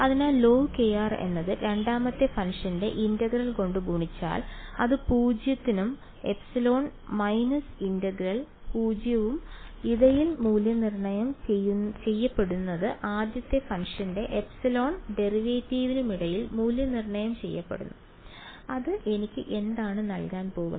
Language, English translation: Malayalam, So, log k r multiplied by integral of second function which is r squared by 2 evaluated between 0 and epsilon minus integral 0 to epsilon derivative of the first function right which is going to give me a what is going to give me